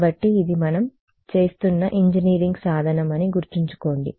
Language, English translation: Telugu, So, remember it is an engineering tool kind of a thing that we are doing